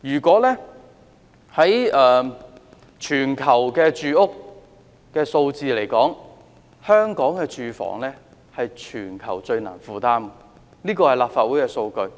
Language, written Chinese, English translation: Cantonese, 根據資料，香港的房屋是全球最難負擔的，這是立法會的數據。, Information shows that housing in Hong Kong is the most unaffordable in the world . This is taken from the data prepared by the Legislative Council